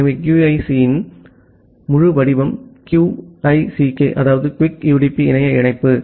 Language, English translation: Tamil, So, the full form of QUIC is QUICK UDP Internet Connection